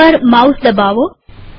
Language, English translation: Gujarati, Click the mouse